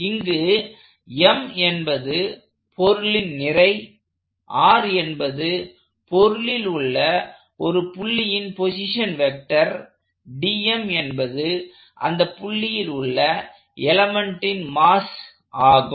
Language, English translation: Tamil, So, here M is the mass of the body, r is the position vector of a given point in the body, d m is the elemental mass at that point